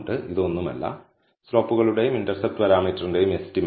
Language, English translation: Malayalam, Now this is nothing, but the estimate for the slope and intercept parameter